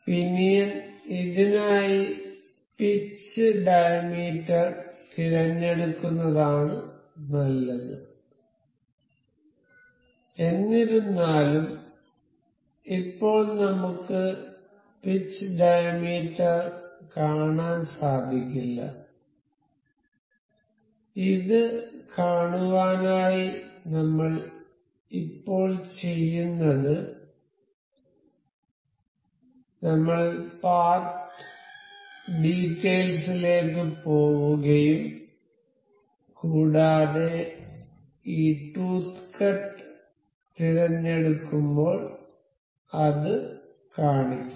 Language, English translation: Malayalam, And for pinion it is best to select the pitch diameter for this; however, we cannot see the pitch diameter as of now to see that we will do one thing, we will just we will go to the part details and we will select this tooth cut this tooth cut will make it show